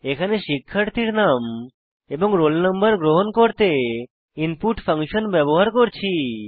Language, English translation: Bengali, Here we are using the input function to accept the roll no